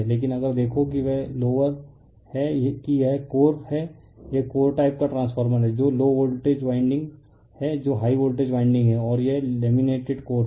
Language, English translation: Hindi, But if you look into that that lower that is this is core this is core type transformer that low voltage winding an above that your high voltage winding how they are there and this is laminated core